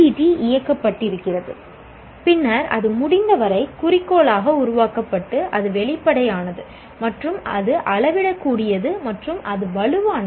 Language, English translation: Tamil, Then it is made as much objective as possible and it is transparent and it is scalable and it is robust